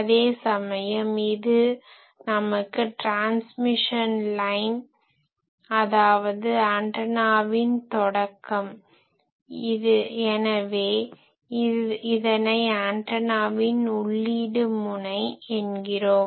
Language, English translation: Tamil, Whereas, this will let us see that this is a transmission line and this is the start of the antenna, this also we called input terminals of the antenna; input terminals of the antenna